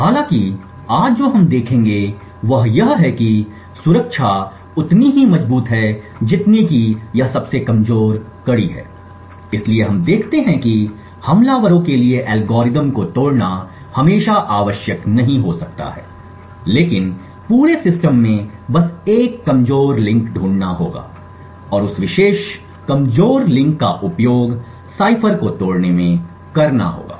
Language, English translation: Hindi, However what we will see today is that security is as strong as it is weakest link so we see that it may not be always required for attackers to break the algorithms but just find one weak link in the entire system and utilize that particular weak link to break the cipher